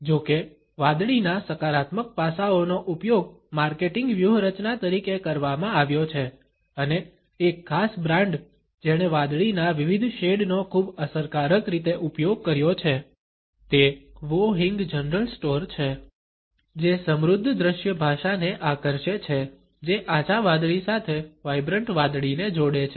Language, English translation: Gujarati, However the positive aspects of blue have been used as marketing strategy and a particular brand which has used different shades of blue very effectively is the one of Wo Hing general store which draws on the rich visual language that combines vibrant blue with light blue